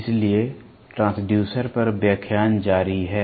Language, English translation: Hindi, So, continuing with the lecture on Transducers